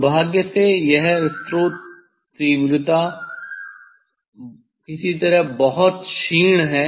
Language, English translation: Hindi, unfortunately, this source intensity is somehow is very week